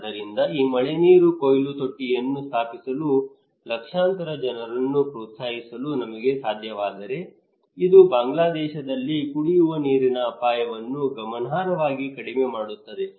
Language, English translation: Kannada, So if we can able to encourage millions of people to install this rainwater harvesting tank, then it will be significantly reduce the drinking water risk in Bangladesh